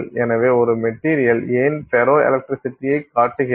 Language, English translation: Tamil, So, why does a material show ferroelectricity